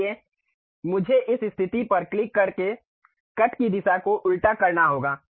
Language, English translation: Hindi, So, I have to reverse the direction of cut by clicking this position